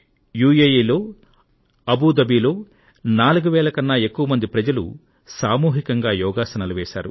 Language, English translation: Telugu, In Abu Dhabi in UAE, more than 4000 persons participated in mass yoga